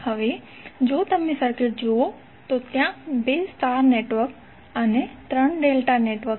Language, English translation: Gujarati, Now if you see the circuit, there are 2 star networks and 3 delta networks